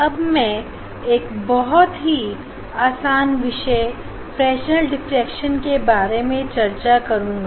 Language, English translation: Hindi, now, I will discuss just very elementary concept of a Fresnel diffraction